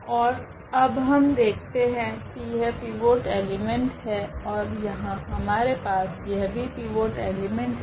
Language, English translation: Hindi, And now, we observe here that this is the pivot element and here also we have the pivot element